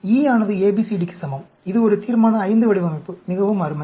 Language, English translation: Tamil, E equal to ABCD; this is a Resolution V design, very nice